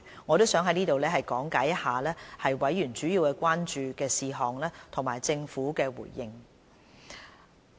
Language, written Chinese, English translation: Cantonese, 我想在此講解一下委員主要關注的事項和政府的回應。, I would like to spell out these major concerns of the members and the responses subsequently provided by the Government